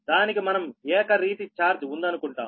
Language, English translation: Telugu, we assume it has uniform charge, right